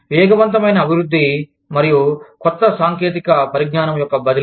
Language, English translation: Telugu, Rapid development, and transfer of new technology